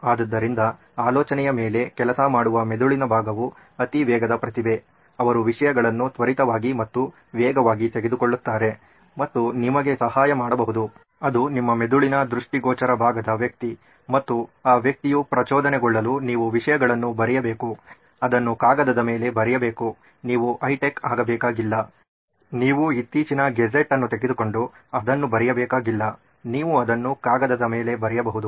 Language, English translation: Kannada, So that the part of the brain that’s working on the idea is a super fast genius who takes things so quickly and rapidly and can help you out with that, that’s the guy inside your visual part of the brain and for that person to get triggered you need to write things down, write it on a piece of paper, you don’t have to be high tech, you don’t have to take the latest gadget and write it on, you can write it on a piece of paper even that’s great